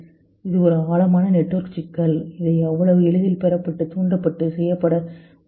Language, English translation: Tamil, This is a deeper network problem which will not get so easily stimulated or done by